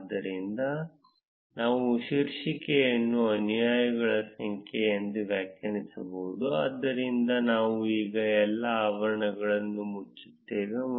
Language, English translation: Kannada, So, we can define the title as number of followers, so we would close all the brackets now